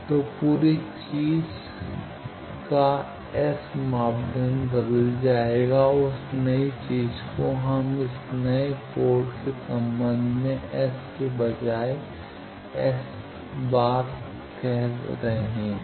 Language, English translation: Hindi, So, S parameter of the whole thing will be changed and that new thing we are calling this S dashed instead of S with respect to this new ports is S dash